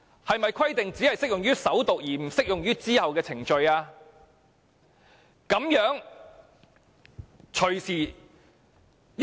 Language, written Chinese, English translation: Cantonese, 是否規定只適用於首讀而不適用於其後的程序？, Does this requirement apply only to the First Reading but not the ensuing procedures?